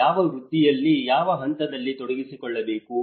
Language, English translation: Kannada, Which profession has to be engaged in what point